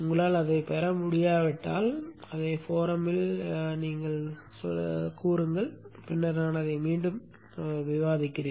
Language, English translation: Tamil, If you are not able to get it then bring it up in the forum and I will discuss that once again